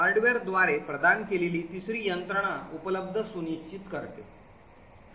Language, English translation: Marathi, The third mechanism which is provided by the hardware ensures availability